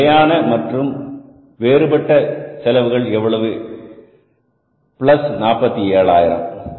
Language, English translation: Tamil, This is a fixed and the variable is how much plus 47,000s